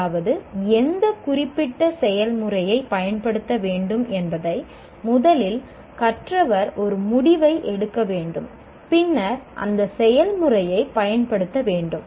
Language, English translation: Tamil, That means the student, the learner has to make first decision which particular process to be used and then apply that process